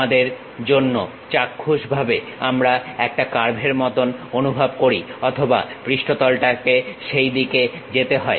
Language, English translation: Bengali, For us at visual level we feel like the curve or the surface has to pass in that way